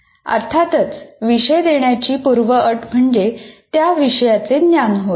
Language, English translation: Marathi, The prerequisite, obviously to offer a course, is the knowledge of subject matter